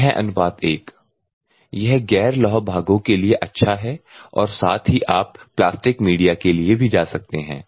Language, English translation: Hindi, 6 : 1 you will get a good for the non surface non ferrous part parts at the same time you can go for the plastic media also